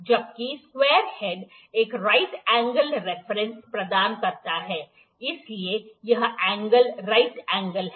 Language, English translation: Hindi, While the square head provides a right angle reference, so this angle is the right angle